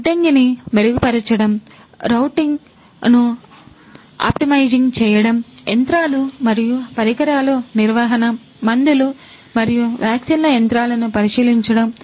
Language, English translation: Telugu, Improving warehousing, Optimizing routing, Maintenance of machines and equipment, Inspecting the machines of medicines and vaccines